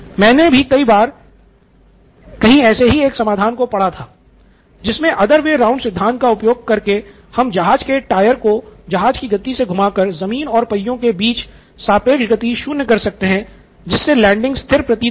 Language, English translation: Hindi, One often time I have read this solution that I have seen for this is the other way round solution is to rotate the tyre at the same speed as the aircraft so the relative speed between the ground and the wheels are zero, so is as if it’s landing stationary